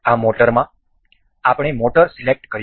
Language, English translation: Gujarati, In this motor, we will select we will select motor